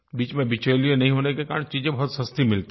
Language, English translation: Hindi, As there are no middlemen, the goods are available at very reasonable rates